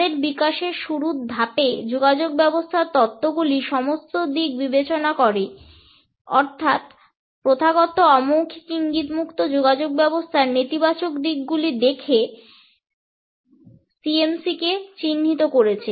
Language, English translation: Bengali, At an early stage of their development, the communication theories which tend to address CMC by and large looked at the negative aspects of a communication event, which is occurring without traditional nonverbal cues